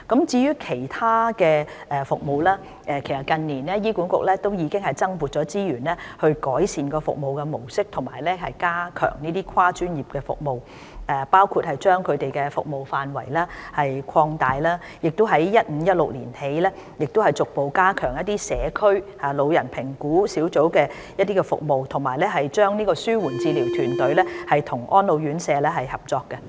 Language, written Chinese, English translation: Cantonese, 至於其他服務方面，其實近年醫管局已經增撥資源，改善服務模式及加強這些跨專業服務，包括擴大服務範圍，以及由 2015-2016 年度起，逐步加強社區老人評估小組的服務，以及安排紓緩治療團隊與安老院舍合作。, As for other services HA has actually allocated additional resources to improving the service model and enhance these multi - disciplinary services in recent years including the expansion of the scope of services and the gradual strengthening of the services provided by CGATs from 2015 - 2016 onwards as well as arranging for collaboration between the palliative care teams and RCHEs